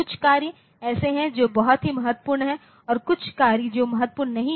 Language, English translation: Hindi, So, there are certain tasks which are very critical and certain tasks which are not so